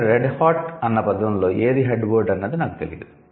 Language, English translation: Telugu, However, in Red Hot I'm not sure which one is the head word